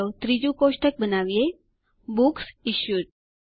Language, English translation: Gujarati, And let us create the third table: Books Issued